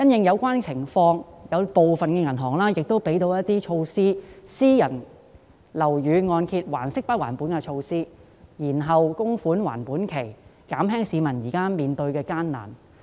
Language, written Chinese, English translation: Cantonese, 有見及此，部分銀行已推出不同措施，例如私人樓宇按揭還息不還本及延後供款還款期，以減輕市民現時面對的困難。, In view of this different measures have been introduced by banks such as payment of interest only and extension of loan tenor for private buildings with a view to alleviating the difficulties faced by members of the public